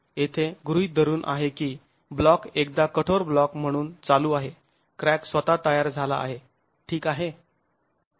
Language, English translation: Marathi, Assumption here is that the block is moving as a rigid block once the crack is formed itself